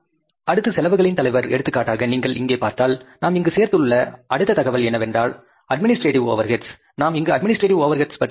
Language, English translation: Tamil, Next head of the expenses, for example, if you see here, the next information but we have included here is that is the administrative overheads